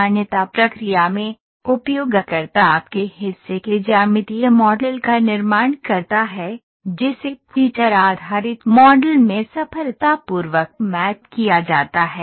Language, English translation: Hindi, While in the recognition process, the user builds the geometric model of your path, that is successfully mapped into the feature based model